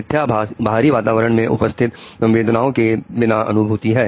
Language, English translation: Hindi, Hallucinations are perceptions without the stimulus being present in the external environment